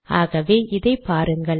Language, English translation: Tamil, So do not use this